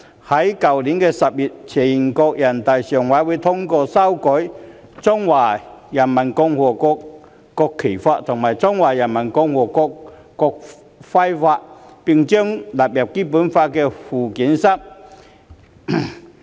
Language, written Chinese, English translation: Cantonese, 去年10月，全國人民代表大會常務委員會通過修改《中華人民共和國國旗法》及《中華人民共和國國徽法》，並將之納入《基本法》附件三。, Last October the Standing Committee of the National Peoples Congress endorsed the amendments to the Law of the Peoples Republic of China on the National Flag and Law of the Peoples Republic of China on the National Emblem and the two laws have been listed in Annex III to the Basic Law